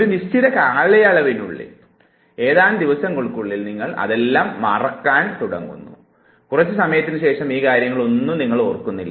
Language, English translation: Malayalam, And within a certain period of time, just within few days you start forgetting these traces and little later you do not even remember any of those things